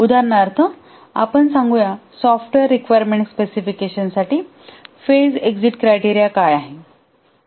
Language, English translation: Marathi, For example, let's say what is the phase exit criteria for the software requirement specification phase